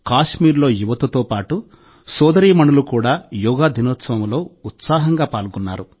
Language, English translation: Telugu, In Kashmir, along with the youth, sisters and daughters also participated enthusiastically on Yoga Day